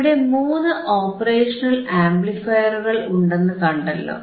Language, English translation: Malayalam, So, you have three operational amplifier